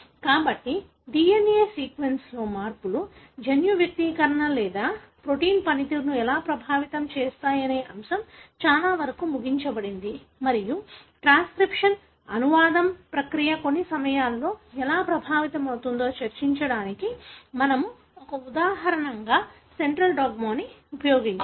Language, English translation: Telugu, So, that pretty much ends the topic as to how changes in the DNA sequence can affect the gene expression or the protein function and we have sort of used the central dogma as an example to discuss how the process of transcription, translation, affect at times the gene function, as a result of the changes in the DNA